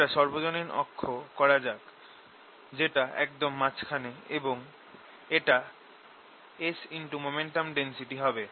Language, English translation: Bengali, let me make this common axis derive in the middle is going to be s right s times, the momentum density